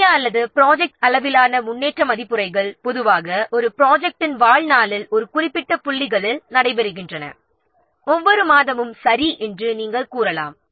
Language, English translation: Tamil, Major or project level progress reviews generally takes place at particular points during the life affair project maybe you can say that every month, okay